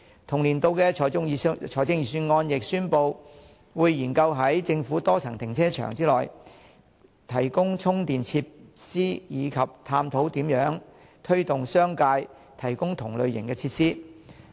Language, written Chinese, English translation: Cantonese, 同年度的財政預算案亦宣布，會研究在政府多層停車場內，提供充電設施及探討如何推動商界提供同類設施。, In the Budget for the same year the Government announced that it would examine the feasibility of providing re - charging facilities in government multi - storey car parks and explore ways of encouraging the business sector to set up such facilities